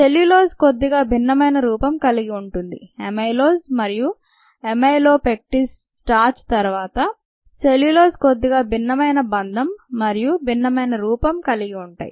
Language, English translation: Telugu, the cellulose happens to be have a slightly different branching, ah you know, ah, amylose and amylopectin starch, and then cellulose is sightly ah, different bonding and branching and so on, so forth